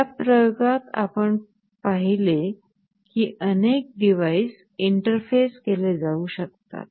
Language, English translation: Marathi, So, in this experiment what we have seen is that we can have multiple devices interfaced